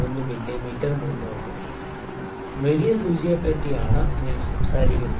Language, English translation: Malayalam, 03 mm forward, the bigger needle I am talking about